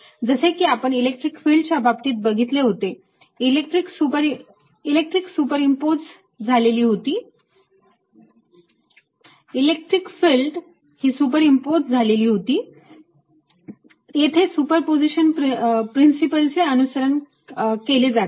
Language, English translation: Marathi, as we saw in the case of electric field, electric field is superimposed, right it ah follows the principle of superposition